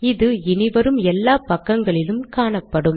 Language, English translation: Tamil, Now this is going to come on every page